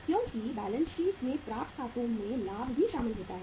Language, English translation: Hindi, Because in the balance sheet accounts receivables include the profit also